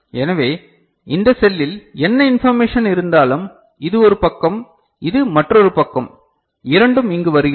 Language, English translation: Tamil, So, whatever information is there in this cell I mean, this is one side, this is another side both are coming over here